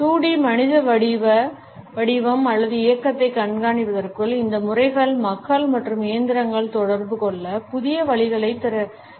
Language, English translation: Tamil, These methods for tracking 2D human form or motion open up new ways for people and machines to interact